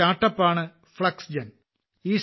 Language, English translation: Malayalam, There is a StartUp Fluxgen